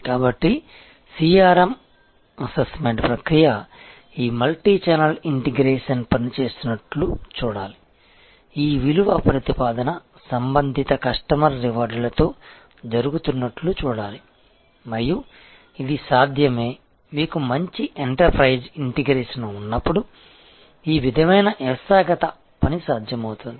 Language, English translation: Telugu, So, the CRM assessment process should see that this multichannel integration is working it should see that this matching of the value proposition is happening with respective customer rewards and this is possible, this sort of systemic working together is possible when you have a good enterprise integration through information and communication technology